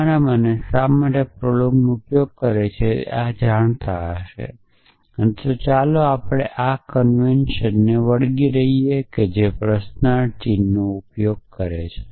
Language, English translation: Gujarati, So, those of you why use prolog would know this so let us stick to our convention which is to use a question mark